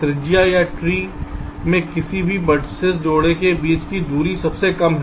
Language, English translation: Hindi, radius is the worst case: distance between any pair of vertices